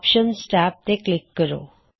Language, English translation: Punjabi, Click on the Options tab